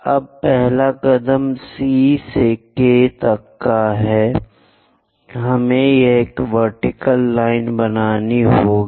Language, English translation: Hindi, Now, the first step is from C all the way to K; we have to construct a vertical line